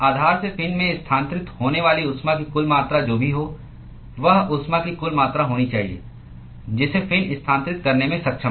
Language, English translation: Hindi, Whatever is the total amount of heat that is transferred from the base to the fin should be the total amount of heat that the fin is able to transfer